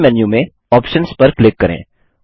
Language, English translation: Hindi, From the Main menu, click Options